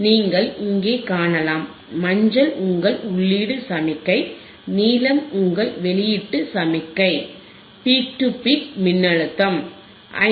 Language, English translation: Tamil, yYou can see here, yellow is your input signal, blue is your output signal, peak to peak voltage is 5